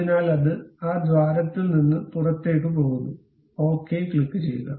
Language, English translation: Malayalam, So, it goes all the way out of that hole, click ok